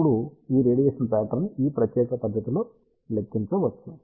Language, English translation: Telugu, Now, this radiation pattern can be calculated in this particular fashion